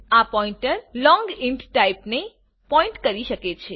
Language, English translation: Gujarati, This pointer can point to type long int